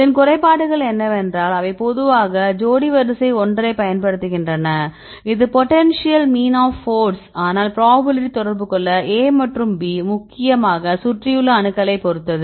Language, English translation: Tamil, The disadvantages is they use a typically a pairwise one this is mean force, potential mean force, but the probability of the; A and B to be in contact mainly depends upon the surrounding atoms right